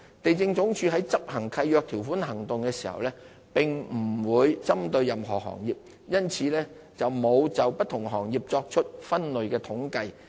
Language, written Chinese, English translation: Cantonese, 地政總署於執行契約條款行動時並不會針對任何行業，因此並沒有就不同行業作出分類統計。, There is no breakdown of the statistics by industry since LandsD does not target any industry when it takes lease enforcement actions